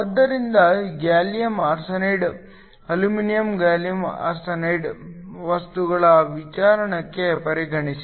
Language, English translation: Kannada, So, consider the case of a gallium arsenide, aluminum gallium arsenide material